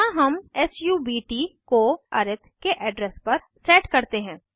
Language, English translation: Hindi, Here we set subt to the address of arith